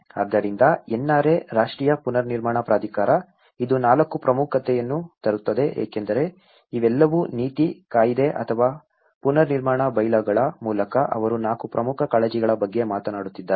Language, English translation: Kannada, So, that is where the NRA, the National Reconstruction Authority, it brings 4 important because all these whether through the policy, the act or the reconstruction bylaws, they are talking about 4 important concerns